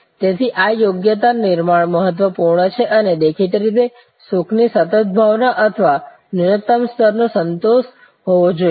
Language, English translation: Gujarati, So, this competency build up is important and; obviously, there has to be a continuing sense of happiness or minimum level of satisfaction